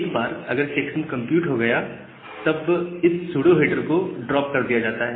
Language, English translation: Hindi, And once the checksum is computed that pseudo header is getting dropped or that is that gets dropped